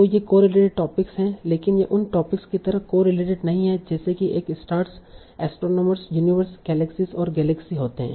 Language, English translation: Hindi, But they are not so correlated with topics like here, stars, astronomers, universe, galaxies and galaxy